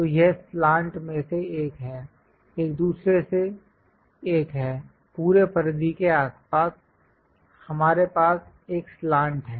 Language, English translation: Hindi, So, this is one of the slant, one other one; around the entire circumference, we have a slant